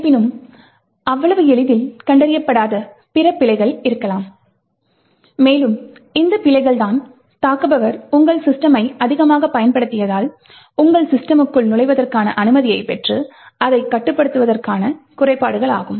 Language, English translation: Tamil, However, there may be other bugs which are not detected so easily, and these are the bugs which are the flaws that an attacker would actually use to gain access into your system and then control the system